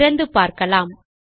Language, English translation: Tamil, So, lets open it and see